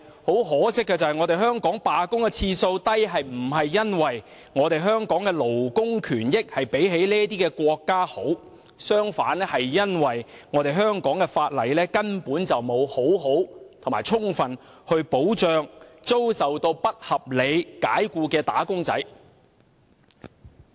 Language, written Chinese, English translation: Cantonese, 可惜的是，香港的罷工次數低並非因為我們的勞工權益較這些國家好；相反，這是因為香港法例根本沒有妥善或充分保障遭不合理解僱的"打工仔"。, Sadly the number of strikes in Hong Kong is small not because we have better labour rights and interests than those countries but because the laws of Hong Kong simply do not provide proper or sufficient safeguards for wage earners who are unreasonably dismissed